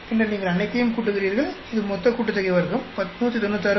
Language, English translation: Tamil, And then you add up all of them,that will give you the total sum of square 196